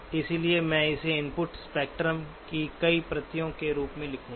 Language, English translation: Hindi, So I will just write it as multiple copies of input spectrum